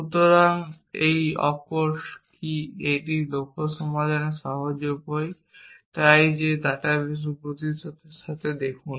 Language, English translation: Bengali, So, what this off course, it severe way to simplify to solve the goal and so see with that is present in the data base